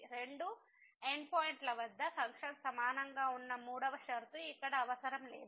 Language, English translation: Telugu, The third condition where the function was equal at the two end points is not required here